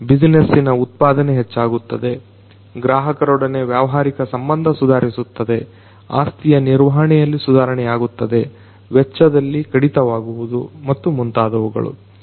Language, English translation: Kannada, The productivity of the business is going to improve, the customer relationship is going to improve, the asset management is going to improve, the cost reduction is going to happen and so on